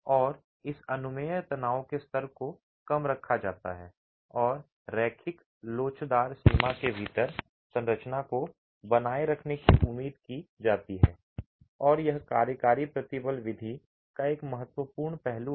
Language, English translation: Hindi, And this permissible stress level is kept rather low and expected to keep the structure within the linear elastic range